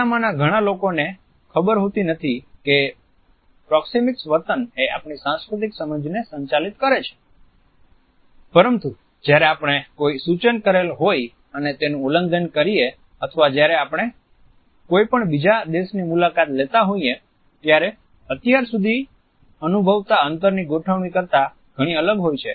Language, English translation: Gujarati, Many of us may not be aware that the norms of proxemic behavior govern our cultural understanding, but we become acutely conscious of these norms whenever there is a suggested violation or when we visit a foreign land where the arrangement of a space is very different from what we had been used to perceive up till that point